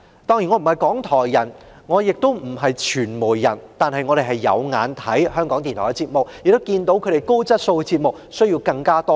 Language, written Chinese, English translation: Cantonese, 當然，我既不是"港台人"也不是"傳媒人"，但有收看港台的節目，亦看到其高質素的節目需要更多支援。, Certainly I am neither a member of RTHK nor a media worker . But I have watched the programmes of RTHK . I have also seen that its quality programmes need more support